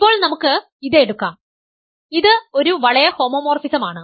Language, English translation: Malayalam, Now, let us take that, it is a ring homomorphism